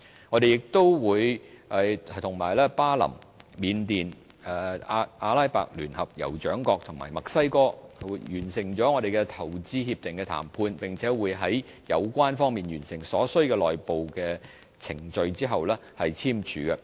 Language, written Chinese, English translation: Cantonese, 我們亦與巴林、緬甸、阿拉伯聯合酋長國及墨西哥完成了投資協定談判，並會在有關方面完成所需的內部程序後簽署投資協定。, Besides we have also concluded IPPA negotiations with Bahrain Myanmar the United Arab Emirates and Mexico and we will sign IPPAs with them after they have completed their necessary internal procedures